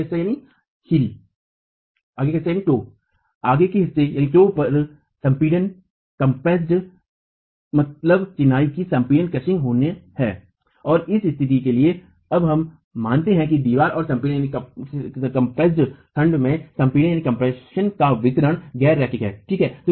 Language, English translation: Hindi, At the compressed toe you will have crushing of the masonry and so for the same condition we now assume that the distribution of compression at the compressed segment of the wall is nonlinear